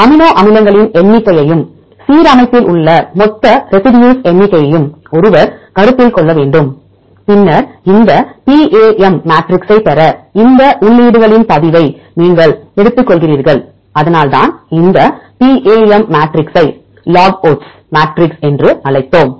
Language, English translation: Tamil, Then one has to consider the number of amino acids and the total number of residues in the alignment then you take the log of these entries to get these PAM matrixes this is why we also called this PAM matrix as log odds matrix